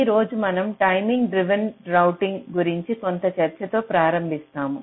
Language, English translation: Telugu, so today we start with some discussion on timing driven routing